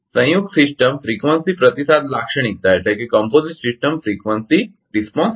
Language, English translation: Gujarati, The compound is composite system frequency response characteristic is right